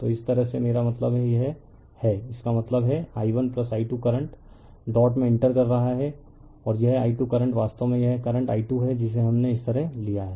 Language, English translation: Hindi, So, this way I mean this; that means, i 1 plus i 2 current entering into the dot and this i 2 current actually it is your this is the current i 2 we have taken like this